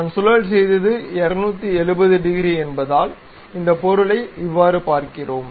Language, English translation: Tamil, So, when we revolve because it is 270 degrees thing we see this object